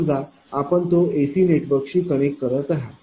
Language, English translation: Marathi, It's suppose you are connecting it to AC network right